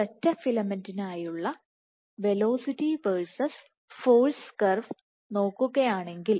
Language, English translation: Malayalam, So, if I look at the velocity versus force curve for the single filament